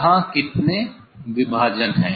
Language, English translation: Hindi, They are how many division